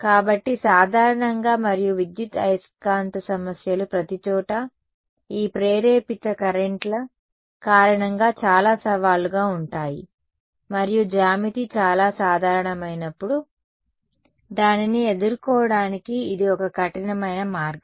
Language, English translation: Telugu, So, in general and electromagnetic problems are very challenging because of these induced currents floating around everywhere and this is one rigorous way of dealing with it when the geometry is very general need not be some very specific thing ok